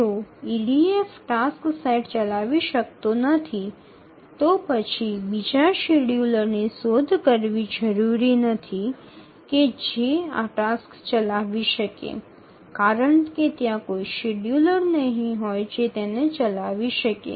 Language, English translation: Gujarati, So, if EDF cannot run a set of tasks, it is not necessary to look for another scheduler which can run this task because there will exist no scheduler which can run it